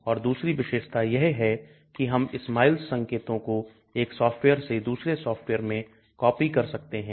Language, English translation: Hindi, Then the other advantage is we can copy SMILES notation from 1 software to another software, For example